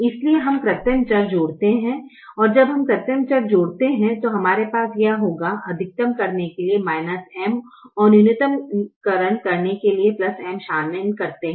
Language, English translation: Hindi, and when we add artificial variables we will have this involving the minus m for maximization and plus m for minimization